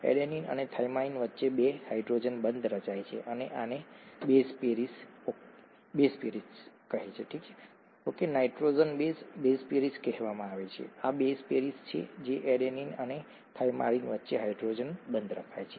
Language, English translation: Gujarati, There are two hydrogen bonds that are formed between adenine and thymine and this is what is called base pairing, okay, nitrogenous base, base pairing, this is a base pairing, a hydrogen bond formation between adenine and thymine